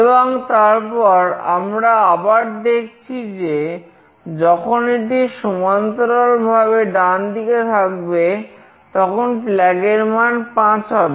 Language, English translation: Bengali, And then we see that it is again horizontally right with flag 5